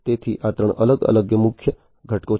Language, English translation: Gujarati, So, these are the three different key elements